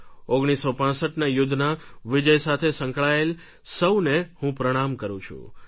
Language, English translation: Gujarati, I salute all those associated with the victory of the 1965 war